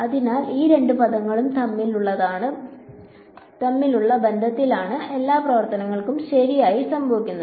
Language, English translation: Malayalam, So, all the action really is happening in the relation between these two terms